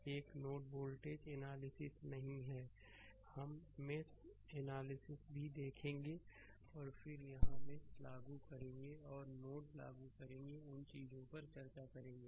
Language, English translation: Hindi, This is not a node voltage analysis we will see mesh analysis also and then the then here we will apply mesh and we will apply node we will discuss those things right